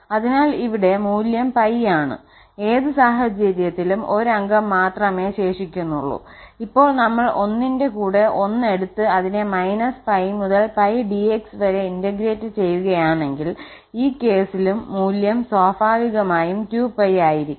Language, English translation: Malayalam, So, here the value is pi in either case the only member left is 1, if we take 1 with 1 and then integrate from minus pi to pi dx, in this case the value will be 2 pi naturally